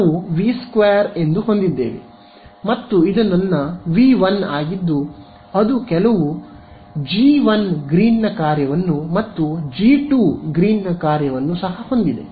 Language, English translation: Kannada, So, what was the problem that we had this was my V 2 and this was my V 1 right which had some g 1 Green’s function and g 2 Green’s function ok